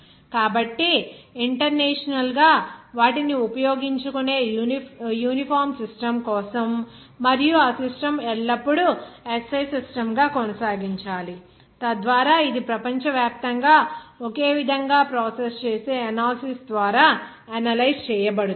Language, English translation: Telugu, So, for this of internationally for a uniform system that uses their actually using and that system always to be maintained as SI system so that it will be analyzed through analysis that process uniformly all over the world